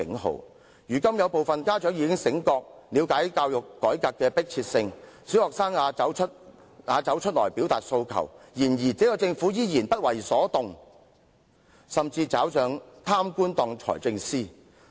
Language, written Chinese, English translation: Cantonese, 雖然有部分家長現在已經醒覺，而且明白教育改革的迫切性，甚至小學生也懂得走出來表達訴求，但政府仍然不為所動，甚至由一位貪官擔當財政司一職。, Although some parents have already awakened and understood the urgency of education reform and even some primary students know how to express their aspirations the Government remains unmoved . What is more a corrupt official has even been appointed to take up the post of Financial Secretary